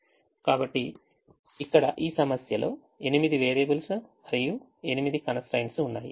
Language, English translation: Telugu, the other problem had eight variables and eight constraints